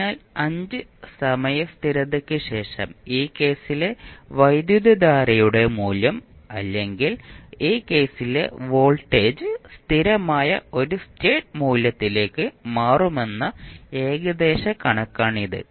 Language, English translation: Malayalam, So, that is the approximation we take that after 5 time constants the value of current in this case or voltage in this case will settle down to a steady state value